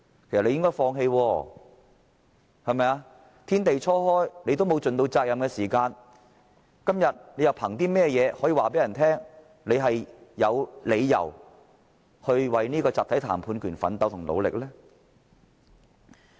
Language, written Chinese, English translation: Cantonese, 因為天地初開時他們根本沒有盡責任，今天又憑甚麼告訴人他們有理由為集體談判權奮鬥和努力呢？, Because right from the outset they did not duly fulfil their responsibility and so on what ground they are telling us today that they have reasons to strive for the right to collective bargaining and exert themselves for this cause?